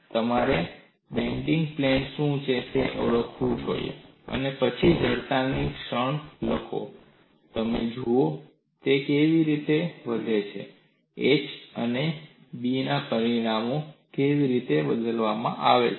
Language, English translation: Gujarati, See, you should 0020recognize what is the plane of bending and then write the moment of inertia, and look at how it bends, how the dimensions h and B are shown